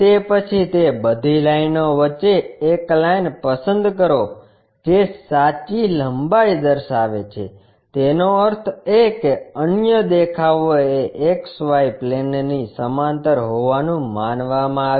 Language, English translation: Gujarati, Then, among all those lines, pick a line which is showing true length; that means, the other view supposed to be parallel to the XY plane